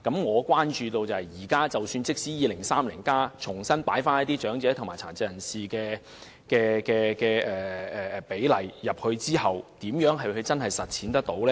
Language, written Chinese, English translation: Cantonese, 可是，即使現時在《香港 2030+》重新加入與長者及殘疾人士有關的服務比例，日後如何能夠真正實踐？, Yet even if the service ratios relating to the elderly and PWDs is now incorporated into Hong Kong 2030 how will such ratios be realized in the future?